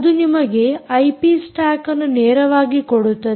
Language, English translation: Kannada, it gives you the i p stack directly